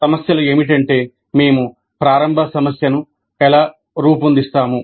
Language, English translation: Telugu, So these problems are that, how do we formulate the initial problem